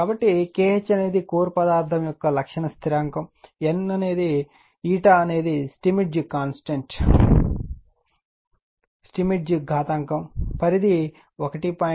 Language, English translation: Telugu, So, K h is characteristic constant of your core material, n is equal to Steinmetz exponent, range 1